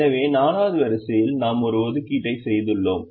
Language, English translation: Tamil, so in the fourth row we have made an assignment, so this is already assigned